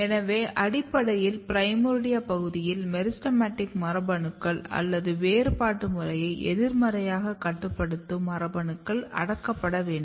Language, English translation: Tamil, So, basically in the primordia region meristematic genes need to be suppressed the genes which are basically negatively regulating the differentiation program need to be suppressed